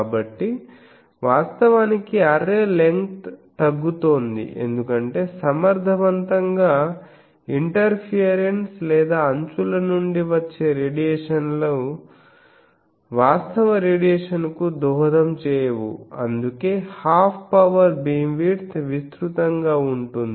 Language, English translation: Telugu, So, actually the array length is getting reduced because effectively, the interference or the radiations from the edges they are not contributing to the actual radiation that is why the half power beam width is broader